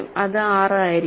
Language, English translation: Malayalam, So, that will be 6